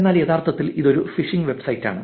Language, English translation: Malayalam, it is targeted phishing website